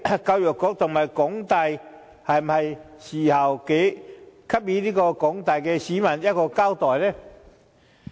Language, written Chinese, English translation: Cantonese, 教育局和港大是時候給廣大市民一個交代。, It is time the Education Bureau and HKU made an account to the general public